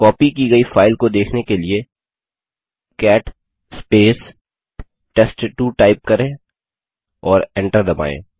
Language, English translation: Hindi, Let us see its content, for that we will type cat space sample3 and press enter